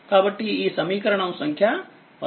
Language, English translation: Telugu, So, this is equation 13